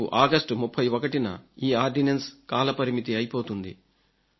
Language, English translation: Telugu, Tomorrow, on August 31st the deadline for this ordinance ends